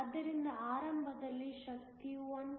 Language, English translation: Kannada, So, initially when the energy is below 1